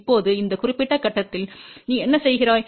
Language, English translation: Tamil, Now, at this particular point, what you do